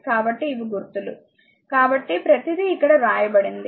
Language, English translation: Telugu, So, these are symbols so, everything is written here